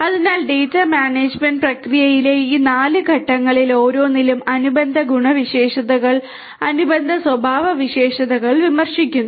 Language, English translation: Malayalam, So, for each of these 4 steps in the data management process the corresponding attributes the corresponding characteristics are mentioned